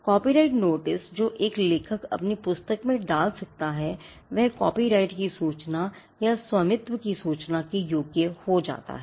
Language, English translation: Hindi, A copyright notice which an author can put in his or her book qualifies as a notice of copyright or notice of ownership